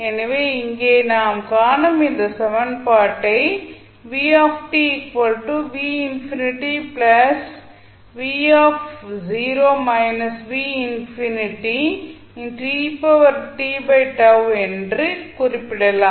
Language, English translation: Tamil, You can put the values in the equation and this expression for it